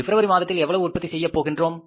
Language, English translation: Tamil, In the month of February, we will sell this much